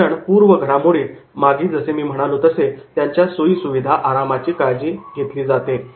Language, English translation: Marathi, So in the pre training that is as I mentioned that is their comforts are taken care of